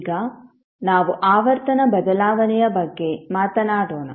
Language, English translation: Kannada, Now let’ us talk about the frequency shift